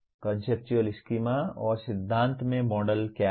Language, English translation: Hindi, What are conceptual schemas and models in theories